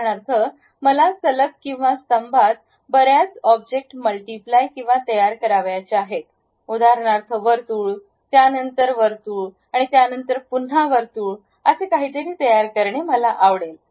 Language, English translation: Marathi, For example, I want to multiply or produce many objects in a row or column; something like circle after circle after circle I would like to construct